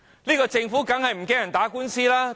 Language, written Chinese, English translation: Cantonese, 這個政府怎會害怕打官司？, How can this Government be afraid of going to court?